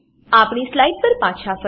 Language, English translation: Gujarati, Let us switch back to our slides